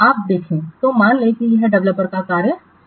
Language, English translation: Hindi, So, suppose this is the developer's workspace